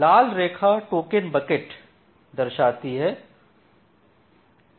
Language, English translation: Hindi, So, this red line gives you the token bucket